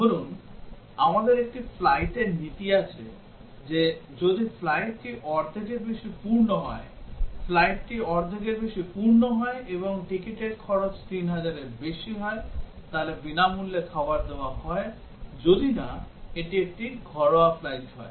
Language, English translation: Bengali, Suppose, we have policy on a flight that if the flight is more than half full, the flight is more than half full, and the ticket cost is more than 3000, then free meals are served unless it is a domestic flight